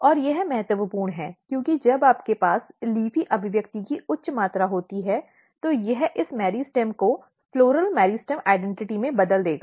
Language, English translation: Hindi, And that is important, because when you have high amount of LEAFY expression here it will convert this meristem to floral meristem identity